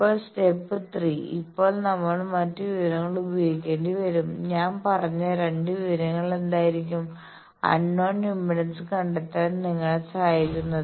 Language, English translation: Malayalam, Now step 3 now we will have to utilize the other information what was the 2 information that I said that can if I help you to detect the unknown impedance